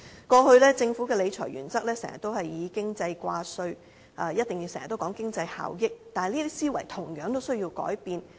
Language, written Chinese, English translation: Cantonese, 過去，政府的理財原則經常以經濟掛帥，一定講求經濟效益，但這些思維同樣需要改變。, In the past the Government gave much weight to efficiency in its principle of fiscal management and economic efficiency was always the focus but such a mindset also needs to be changed